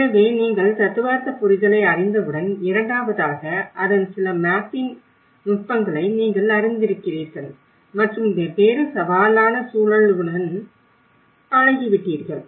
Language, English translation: Tamil, So once you are familiar with the theoretical understanding, the second you are familiar with some of the mapping techniques of it and getting familiar with different challenging context